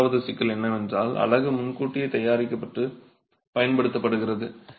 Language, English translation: Tamil, The second problem is the unit is prefabricated and used